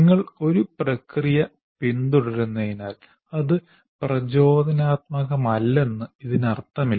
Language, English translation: Malayalam, It does not, just because you are following a process, it doesn't mean that it is not inspirational